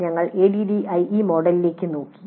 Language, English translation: Malayalam, We took looked at one of the models ADI